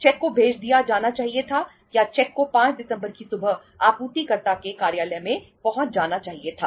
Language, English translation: Hindi, The cheque should have been dispatched or the cheque should have been reaching in the supplier’s office in the morning of the 5th of December